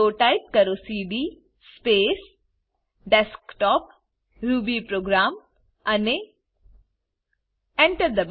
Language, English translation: Gujarati, So lets type cd space Desktop/rubyprogram and press Enter